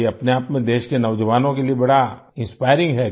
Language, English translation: Hindi, This in itself is a great inspiration for the youth of the country